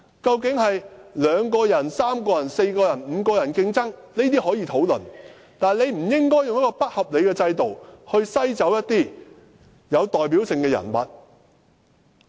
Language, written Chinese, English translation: Cantonese, 究竟是2個人、3個人、4個人或5個人競爭，這些可以討論，但不應該用一個不合理的制度，篩走一些有代表性的人物。, The number of candidates allowed in the election be it two three four or five can be discussed but candidates with a high level of representation should not be screened out through an unreasonable system